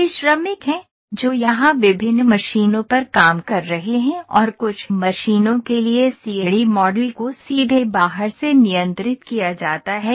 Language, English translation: Hindi, So, also as I said these are the workers those are working on different machines here and some of the machines the CAD model is controlled directly from outside